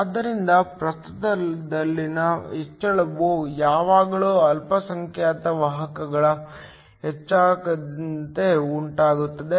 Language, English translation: Kannada, So, the increase in current is always due to the increase in the minority carriers